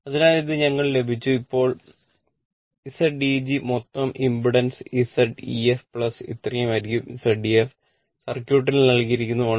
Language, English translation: Malayalam, So, this much we got, now Z eg the total impedance will be your Z ef plus your this much Z ef is given in the circuit 1